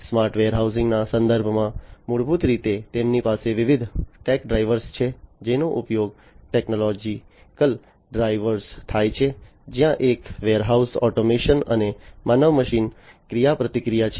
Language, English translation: Gujarati, In the context of the smart warehousing basically they have different tech drivers that are used technological drivers, where one is the warehouse automation and the human machine interaction